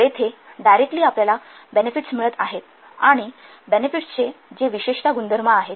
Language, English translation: Marathi, So, here directly we are getting the benefits and these benefits